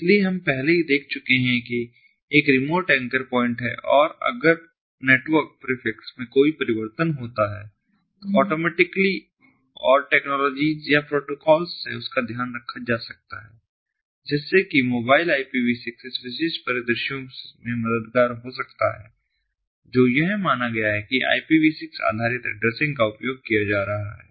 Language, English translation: Hindi, so we have already seen that there is a remote anchor point and if there is a change in the network prefix, that can be taken care of automatically, and technologies or protocols such as mobile ipv six can come helpful in this particular scenarios, assuming that ipv six based addressing is being used